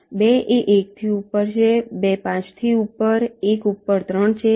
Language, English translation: Gujarati, two is above one, two is above five, one is above three